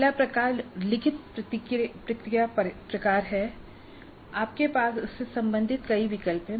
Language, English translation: Hindi, The first type where it is a written response type, again you have wide choice of items possible